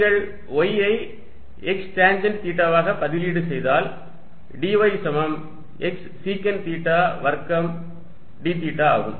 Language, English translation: Tamil, You substitute y equals x tangent theta, so that dy becomes x secant square theta d theta